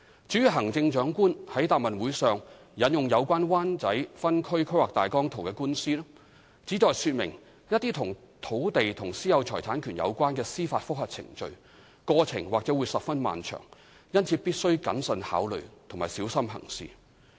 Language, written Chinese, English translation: Cantonese, 至於行政長官在該答問會上引用有關《灣仔分區計劃大綱圖》的官司，旨在說明一些與土地和私有財產權有關的司法覆核程序，過程或會十分漫長，因此必須謹慎考慮及小心行事。, As regards the lawsuit over the Wan Chai Outline Zoning Plan OZP quoted by the Chief Executive in that Question and Answer Session it was intended to demonstrate that judicial review proceedings involving land and the right of private ownership of property could be lengthy and the Government must therefore act prudently and carefully